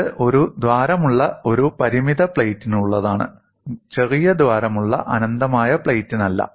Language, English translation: Malayalam, Do not confuse this this is for a finite plate with the hole, not for an infinite plate with the small hole